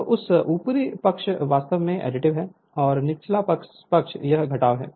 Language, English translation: Hindi, So, this upper side it is actually additive, and the lower side it is subtractive